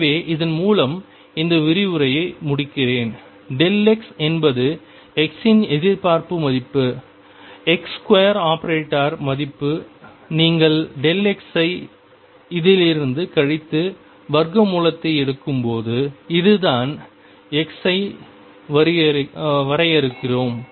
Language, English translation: Tamil, So, with this let me conclude this lecture, by saying that delta x is the expectation value of x x square expectation value when you subtract delta x from this and take square root this is how we define delta x